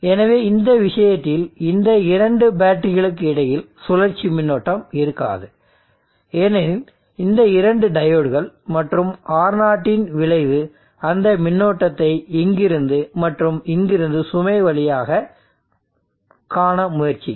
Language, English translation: Tamil, So in this case there will not be a circulating current between these two batteries, because of these two diodes and the oring effect will try to see that current from here and here through the load